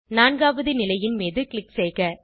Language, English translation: Tamil, Click on the fourth position